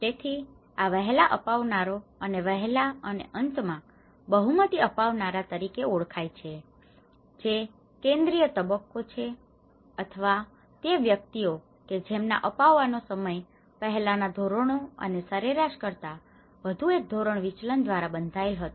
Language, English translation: Gujarati, so these are referred as early adopters and early and late majority adopters which is the central phase, or the individuals whose time of adoption was bounded by one standard deviation earlier and later than the average